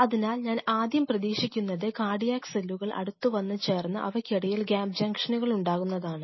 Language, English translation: Malayalam, So, the first thing what I anticipate for these cardiac cells to join with each other coming close and form those gap junctions